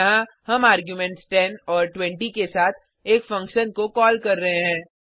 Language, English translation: Hindi, Here, we are calling a function with arguments, 10 and 20